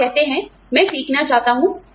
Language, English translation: Hindi, You say, I want to learn